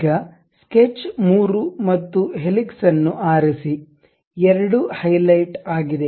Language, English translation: Kannada, Now, pick sketch 3 and also helix, both are highlighted